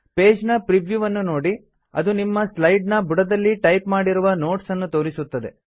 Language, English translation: Kannada, Look at the preview page on the left.It shows the note you typed at the bottom of the slide